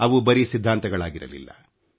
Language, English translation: Kannada, They were not just mere theories